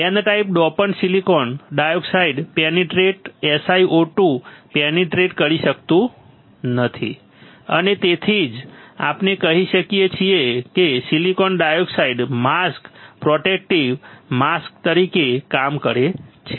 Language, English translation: Gujarati, The N type dopant cannot penetrate through SiO 2 through silicon dioxide and that is why we can say that silicon dioxide acts as a mask protective mask